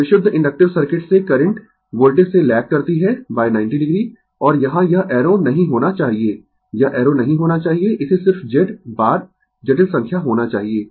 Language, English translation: Hindi, So, current lacks from the voltage by 90 degree from purely inductive circuit and here it should not be arrow it should not be arrow it should be just Z bar the complex number